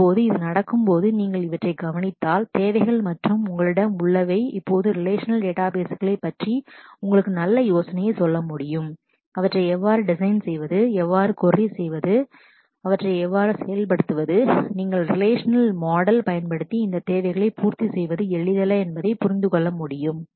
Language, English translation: Tamil, Now as it happens, is if you look into these requirements and what you have you have a fairly good idea of relational databases now what they can do, how to design them, how to query them, how to implement them, you will understand that it is not easy to meet these requirements using the relational model